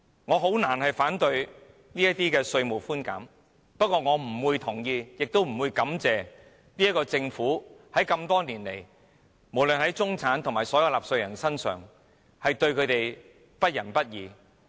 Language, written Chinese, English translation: Cantonese, 我難以反對這些稅務寬減措施，但我不會同意，也不會感謝政府，因為政府多年來對中產和所有納稅人都是不仁不義。, The Government is only wasting its efforts on something meaningless . I can hardly object to these tax concessions but I will not agree with them and I will not thank the Government because the way it has treated the middle class and all taxpayers over the years is heartless and unrighteous